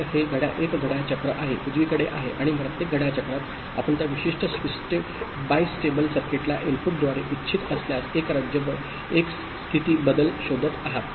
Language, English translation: Marathi, So, this is one clock cycle, right and in each clock cycle you are looking for one state change if it is so desired by the input to that particular bistable circuit